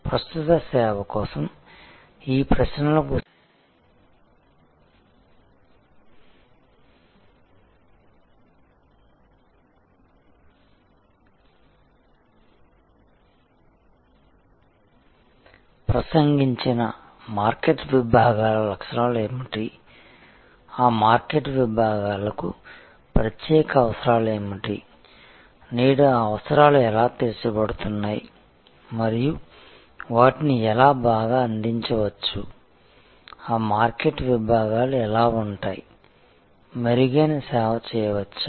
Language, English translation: Telugu, So, to answer these questions for an incumbent service, that what are the characteristics of the addressed market segments, what needs are special to those market segments, how are those needs being met today and how they can be served better, how those market segments can be served better